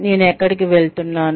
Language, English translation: Telugu, Where am I going